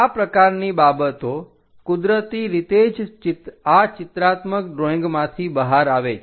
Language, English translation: Gujarati, This kind of things naturally comes out from this pictorial drawing